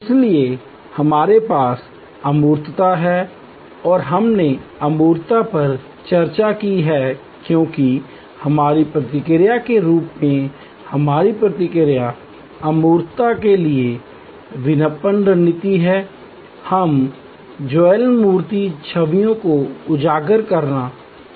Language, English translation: Hindi, So, we have intangibility and we have discussed intangibility as our response as our marketing strategy in response to intangibility, we would like to highlight vivid tangible images